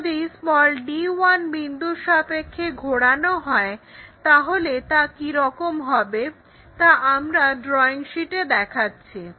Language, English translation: Bengali, If we are rotating around d 1 point, is more like let us locate on the drawing sheet